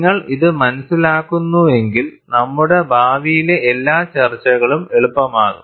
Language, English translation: Malayalam, If you understand this, all our future discussions, it becomes easier to discuss